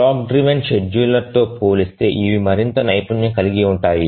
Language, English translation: Telugu, Compared to the clock driven schedulers, these are more proficient